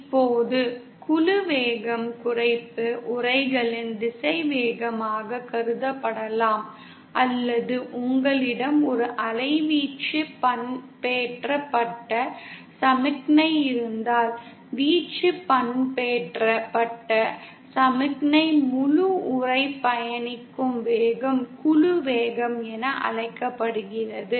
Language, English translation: Tamil, Now group velocity can be considered as a velocity of depletion envelope or if you have an amplitude modulated signal, then the velocity with which the entire envelope of the amplitude modulated signal travels that is called as the group velocity